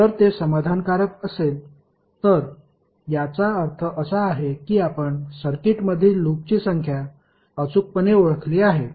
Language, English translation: Marathi, If it is satisfying it means that you have precisely identified the number of loops in the circuit